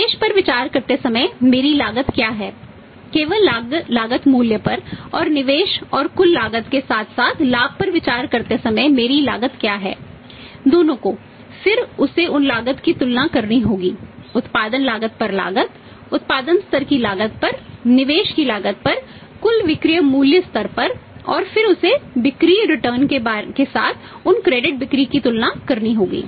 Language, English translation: Hindi, What is my cost while considering the investment at the only cost price and what is my cost while considering the investment and total cost plus the profit both then he has to compare those cost, cost at the cost of production cost of funds as a cost of production as cost of investment as at the cost of production level at the cost of investment at the total selling price level and then he has to compare with the return on sales of those credit sales available